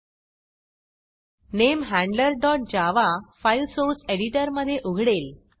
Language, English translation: Marathi, The NameHandler.java file opens in the Source Editor